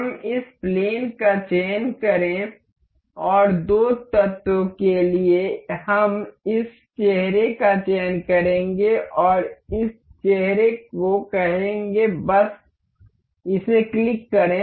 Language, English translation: Hindi, Let us select this plane and for two elements, we will be selecting this face and say this face, just click it ok